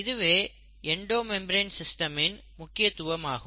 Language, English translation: Tamil, So that is the importance of the Endo membrane system